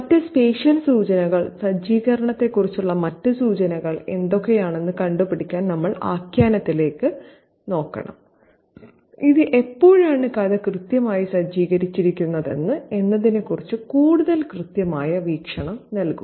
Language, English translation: Malayalam, We should also look at the narrative to figure out what are the other special cues or other cues about setting which will give us a more firmer view of when exactly the story is set